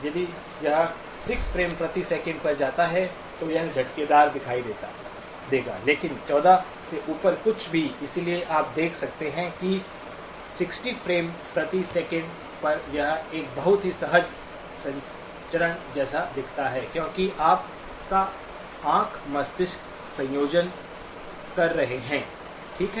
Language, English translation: Hindi, If it goes at 6 frames per second, it will look jerky but anything above 14, so you can see that at 60 frames per second, it looks like a very smooth transmission because your eye brain combination is doing that, okay